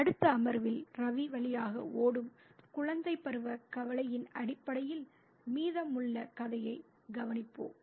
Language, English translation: Tamil, Let's look at the rest of the story in terms of childhood anxiety that is running through Ravi in the next session